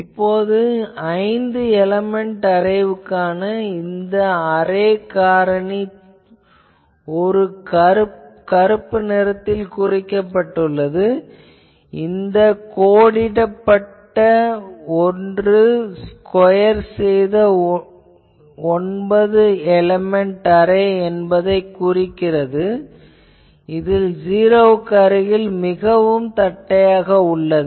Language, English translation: Tamil, Now, you can see the array factor for this that the 5 element array is the black one and the dash one is the that squaring that gives you nine element array where it is becoming in near the 0 more flatter